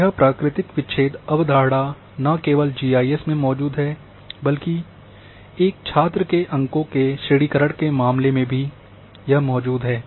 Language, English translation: Hindi, This natural breaks concept exist not only in GIS, but also in case of grading of marks of a student